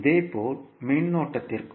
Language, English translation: Tamil, Similarly, for current